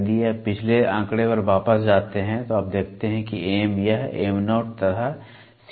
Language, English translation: Hindi, If you go back to the previous figure, you see that M this is Mo and this is Co